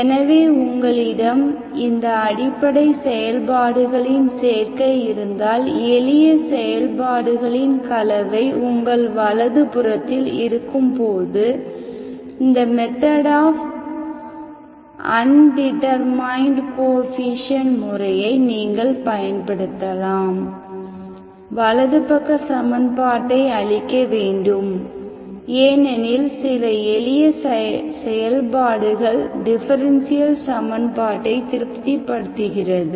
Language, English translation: Tamil, So when you have the simple elementary functions, combination of these elementary functions, and then your right hand side, you can apply method of undetermined coefficients in which the principal of this method is, you annihilate the right hand side because you know the simple function satisfies some simple differential equation